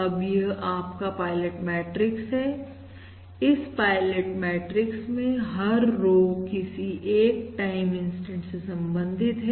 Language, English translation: Hindi, in this pilot matrix, each row corresponds to a particular time, instant